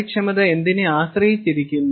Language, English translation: Malayalam, and what all does efficiency depend on